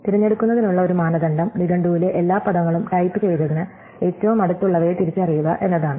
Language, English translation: Malayalam, So, one criterion for choosing is to identify among all the words in the dictionary that are possible which one is closest to the one that has been typed